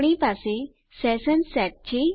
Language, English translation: Gujarati, We have our session set